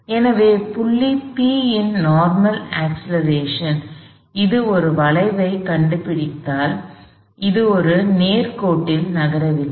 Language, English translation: Tamil, So, the normal acceleration of the point P, because it is tracing an arc, it is not moving on a straight line